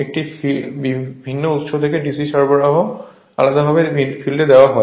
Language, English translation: Bengali, You have from a different source DC supply separately is given to your field